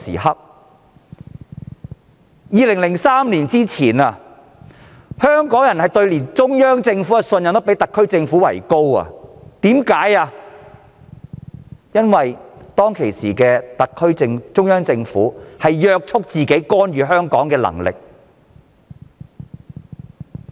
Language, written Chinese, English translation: Cantonese, 在2003年前，香港人對中央政府的信任度比特區政府高，因為當時中央政府約束自己干預香港的權力。, Before 2003 Hong Kong people had more confidence in the Central Government than the Hong Kong SAR Government because the Central Government was restrained in exercising its power to intervene in Hong Kong affairs back then